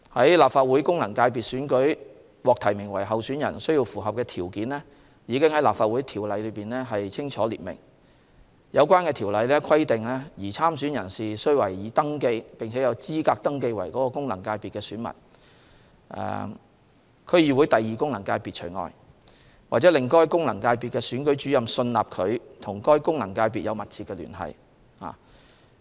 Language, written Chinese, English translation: Cantonese, 在立法會功能界別選舉獲提名為候選人所需要的條件已在《立法會條例》中清楚列明，有關條例規定擬參選人士須為已登記、並有資格登記為該功能界別的選民功能界別除外)，或令該功能界別的選舉主任信納他/她與該功能界別有密切聯繫。, The eligibility criteria for a person being nominated as a candidate in an election for a Legislative Council FC has been clearly set out in LCO . The relevant provision stipulates that a person intending to stand in the election should be registered and eligible to be registered as an elector for the FC concerned Functional Constituency or satisfies the Returning Officer for the FC concerned that heshe has substantial connection with that FC